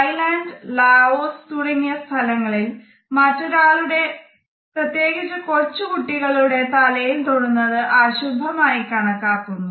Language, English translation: Malayalam, In Thailand and Laos it is a taboo to touch somebody on head particularly the young children because it is considered to be inauspicious